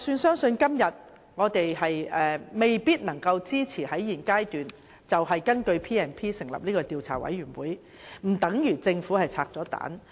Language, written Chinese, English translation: Cantonese, 即使今天我們未必能夠支持在現階段根據《條例》成立專責委員會，這並不代表政府已"拆彈"。, While we may not support the establishment of a select committee under the Ordinance at this stage that does not mean the Government has defused the bomb